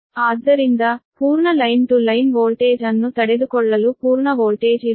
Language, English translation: Kannada, so full voltage will be your to withstand full line to line voltage right